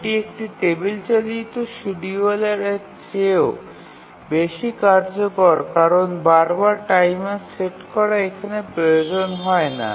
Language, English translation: Bengali, It is more efficient even than a table driven scheduler because repeatedly setting a timer is not required here